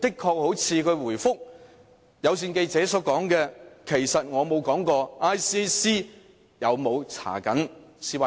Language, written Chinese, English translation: Cantonese, 她回覆有線記者所說："其實我沒有說過 ICAC 有沒有調查 CY 的案件。, In her reply to the i - Cable News reporter she said Actually I have not said whether ICAC is investigating the case involving C Y